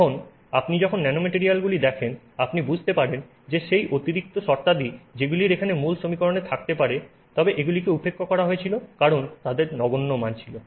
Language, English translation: Bengali, Now when you look at nanomaterials you understand that some of those additional terms which could have been there in the original equation but were ignored because they had minuscule values now have significant values and therefore you add them